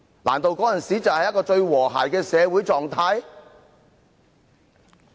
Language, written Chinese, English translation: Cantonese, 難道那時才是最和諧的社會狀態？, Could it be that the social situation back then is considered most harmonious?